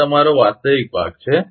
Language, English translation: Gujarati, This is your real part